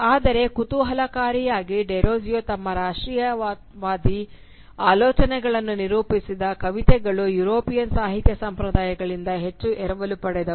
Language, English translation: Kannada, But interestingly however, the body of poem through which Derozio articulated his nationalist thoughts, borrowed heavily from European literary traditions